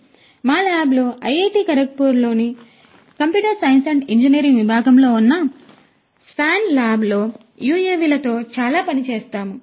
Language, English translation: Telugu, And so, in our lab the swan lab in the Department of Computer Science and Engineering at IIT Kharagpur, we work a lot with UAVs